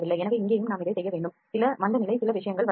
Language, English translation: Tamil, So, we need to work on this also here also there is some recession some material has not come